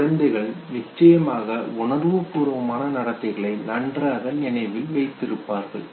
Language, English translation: Tamil, Children of course they have a better recall of emotional behavior